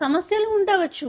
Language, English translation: Telugu, There could be problems